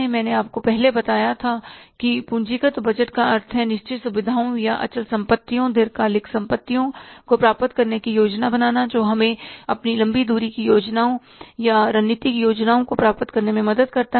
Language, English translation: Hindi, I told you earlier that capital budget means planning for acquiring the fixed facilities or the fixed assets, long term assets, which can help us to achieve our long range plans or the strategic plans